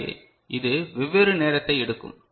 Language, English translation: Tamil, So, it will take different point of time